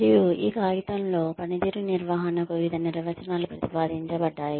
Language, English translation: Telugu, And, in this paper, various definitions of performance management have been proposed